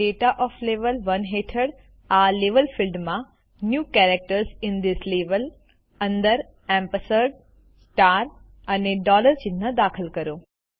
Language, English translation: Gujarati, Now, under Data of Level 1, in the New Characters in this Level field, enter the symbols ampersand, star, and dollar